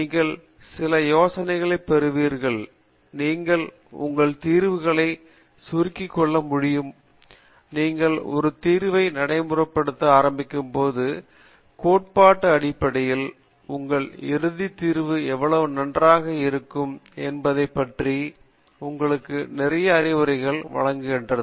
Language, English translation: Tamil, So, you get some ideas and based on that ideas you refine your solutions and before actual you start implementing a solution the theory basically gives you lot of insight into how well your final solution could be